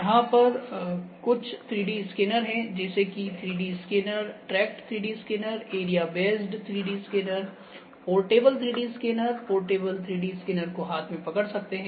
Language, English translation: Hindi, There are certain kinds of 3D scanners we have measuring on 3D scanners, tract 3D scanners, area based 3D scanners, portable 3D scanner, portable 3D scanners could be held in hand